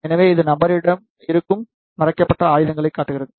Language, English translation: Tamil, So, it shows the concealed weapon which is with the person